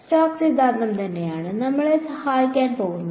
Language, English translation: Malayalam, Stokes theorem is what is going to help us right